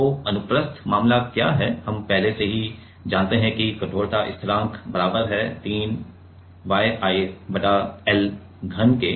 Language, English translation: Hindi, So, what transverse case we already know that the stiffness constant is equal to 3 Y I by l cube right 3 Y I by l cube